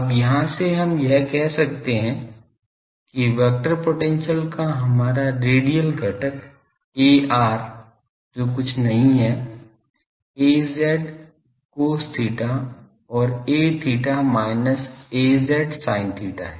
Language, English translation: Hindi, Now, this from here we can say that our radial component Ar of the vector potential that is nothing, but Az cos theta and A theta is minus Az sin theta